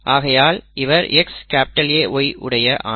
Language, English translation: Tamil, So it is X small a Y here